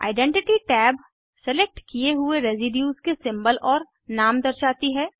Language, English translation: Hindi, Identity tab shows Symbol and Name of the selected residue